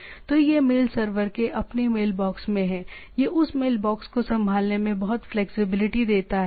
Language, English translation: Hindi, So, it is a in the mail server in it is own mailbox, it gives at lot of flexibility in handling that a mailbox